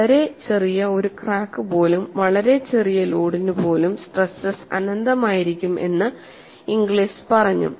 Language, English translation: Malayalam, Inglis said even a very, very small crack, even for very, very small load, the stresses would be infinity and fracture would take place